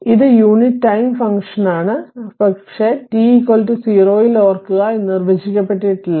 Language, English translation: Malayalam, So, this is your unit time function, but remember at t is equal to 0 it is undefined right